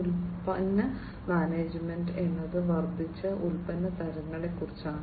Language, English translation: Malayalam, Product management, which is about increased product types